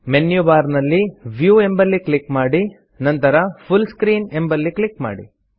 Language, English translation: Kannada, Click on the View option in the menu bar and then click on the Full Screen option